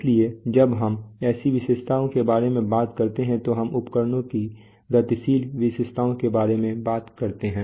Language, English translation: Hindi, so when we talk about such characteristics we talk about the dynamic characteristics of instruments